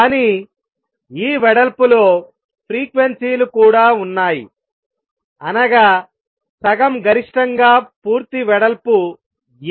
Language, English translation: Telugu, But it also has the frequencies in this width full width at half maximum is A